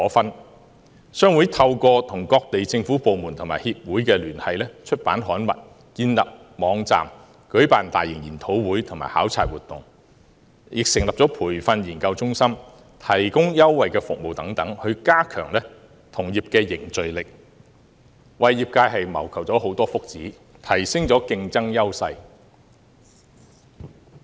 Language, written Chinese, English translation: Cantonese, 印刷業商會透過與各地政府部門及協會的聯繫、出版刊物、建立網站、舉辦大型研討會及考察活動、成立培訓研究中心、提供優惠服務等，加強同業凝聚力，為業界謀求福祉，提升競爭優勢。, The printing industry and the publication industry are interdependent on and closely connected with each other . HKPA has liaised with overseas government departments and associations published publications established a website hosted large - scale seminars and overseas visits set up a training and research centre provided concessionary services etc . to strengthen the bond within the industry promote its interests and increase its competitiveness